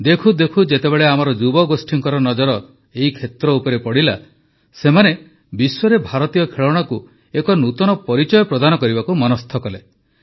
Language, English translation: Odia, Within no time, when this caught the attention of our youth, they too resolutely decided to work towards positioning Indian toys in the world with a distinct identity